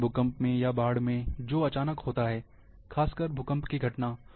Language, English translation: Hindi, Like in earthquake, or in flooding,which occurs suddenly, especially the earthquake phenomenon